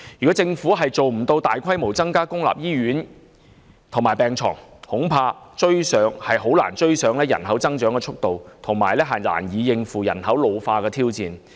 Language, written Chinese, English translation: Cantonese, 倘若政府無法加建公立醫院及大規模增加病床數目，恐怕難以追上人口增長的速度，更遑論應對人口老化的挑戰。, If the Government fails to build additional public hospitals and increases significantly the number of hospital beds I am afraid it will have difficulty catching up with the rate of population growth let alone tackling the challenge of population ageing